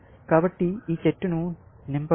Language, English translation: Telugu, So, let us fill up this tree